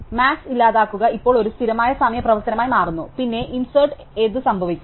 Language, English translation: Malayalam, So, delete max now becomes a constant time operation, then what happens to insert